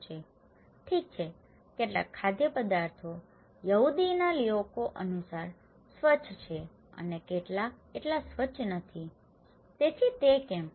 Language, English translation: Gujarati, Well, some foods are clean according to the Jews people and some are not so clean, so why it is so